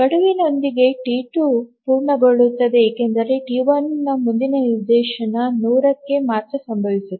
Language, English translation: Kannada, So well within the deadline T2 completes because the next instance of T1 will occur only at 100